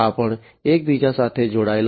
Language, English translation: Gujarati, So, these are also interconnected